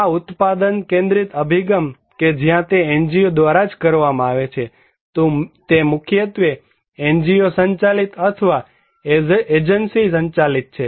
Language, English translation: Gujarati, This product centric approach where it is done by the NGO itself, it is mainly NGO driven or agency driven